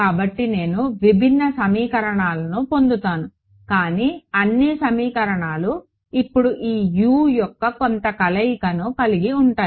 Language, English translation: Telugu, So, I will get different equations, but all equations will have some combination of this Us now